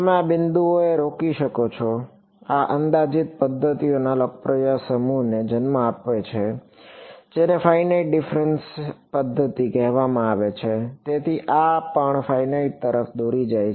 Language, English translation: Gujarati, You could stop at this point and this gives rise to a popular set of approximate methods which are called finite difference methods; so, this also leads to finite ok